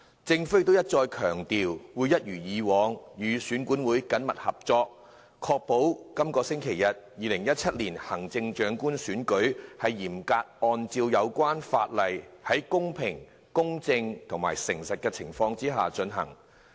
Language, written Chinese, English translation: Cantonese, 政府亦一再強調，會一如既往與選管會緊密合作，確保在本星期日進行的2017年行政長官選舉會嚴格按照有關法例，在公平、公正、誠實的情況之下進行。, The Government has stressed time and again that it will as always work closely with EAC to ensure that the upcoming 2017 Chief Executive Election on Sunday will be conducted in a fair equitable and honest manner strictly in accordance with the legislation